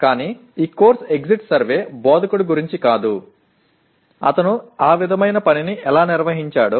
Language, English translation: Telugu, But this course exit survey is not about the instructor, how he conducted that kind of thing